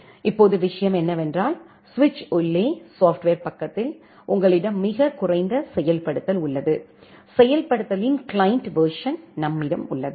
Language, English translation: Tamil, Now the thing is that, at the software side inside switch, you have a very minimal implementation, the client version of the implementation